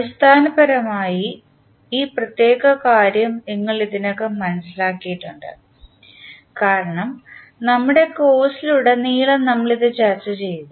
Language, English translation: Malayalam, Basically this particular aspect you have already understood because we have discussed throughout our course